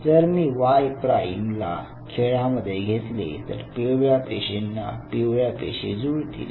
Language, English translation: Marathi, Now, if I bring Y prime into the game, I know only yellow cells it will adhere to the yellow cells right